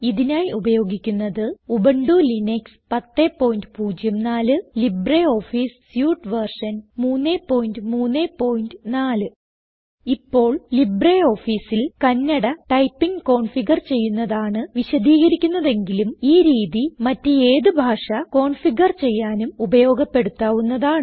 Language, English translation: Malayalam, Here we are using Ubuntu Linux 10.04 as our operating system and LibreOffice Suite version 3.3.4 Now I will explain how you can configure Kannada typing in LibreOffice.You can use this method to configure any language in LibreOffice